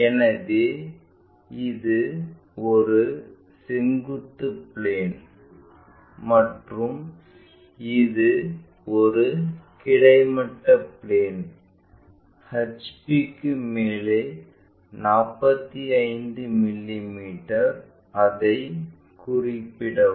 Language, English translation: Tamil, So, this is vertical plane and this is horizontal plane, 45 mm above HP let us locate it